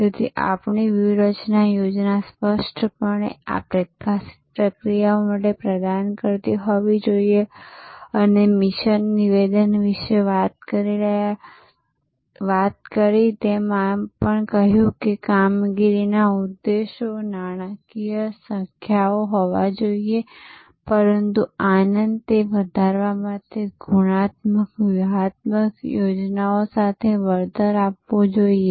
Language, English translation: Gujarati, So, your strategy plan must clearly provide for those processes, these highlighted processes and we talked about mission statement and we also said, that there has to be performance objectives, financial numbers, but that must be compensated with qualitative strategic plans for enhancing the delight of the current customers and co opting them for future customers